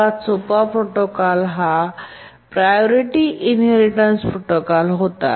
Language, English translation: Marathi, The simplest protocol was the priority inheritance protocol